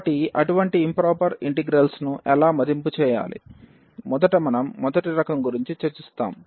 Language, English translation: Telugu, So, how to evaluate such improper integrals, for first we will discuss for the first kind